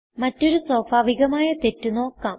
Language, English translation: Malayalam, Now we will see another common error